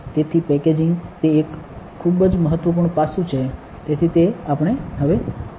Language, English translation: Gujarati, So, packaging is a very important aspect of that, so that is what we saw now